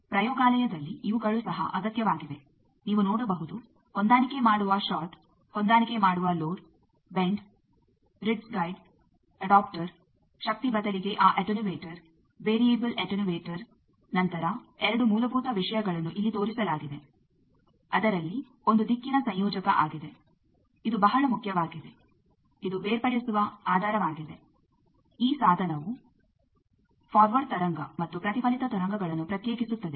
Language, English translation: Kannada, These are also required in laboratory you can see adjustable short adjustable load, bend, ridge guide, adapter instead of power that attenuator, variable attenuator then there are two fundamental things have seen shown here one is a directional coupler; which is very important actually this is the basis for separating these device can separate the a forward wave and reflected wave